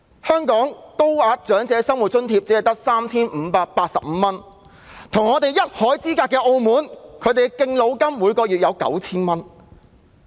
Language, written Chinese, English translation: Cantonese, 香港的高額長者生活津貼只有 3,585 元，但跟我們一海之隔的澳門，每月提供的敬老金為 9,000 澳門元。, While Higher Old Age Living Allowance is provided in Hong Kong at a rate of only 3,585 a monthly rate of MOP9,000 as Subsidy for Senior Citizens is granted by the government of Macao our neighbouring city